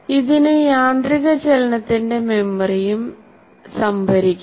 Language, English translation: Malayalam, It may also store the memory of automated movement